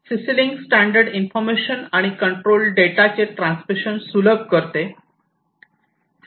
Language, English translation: Marathi, So, CC link standard facilitates transmission of information and control data